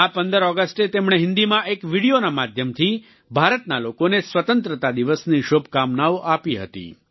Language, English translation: Gujarati, On this 15th August, through a video in Hindi, he greeted the people of India on Independence Day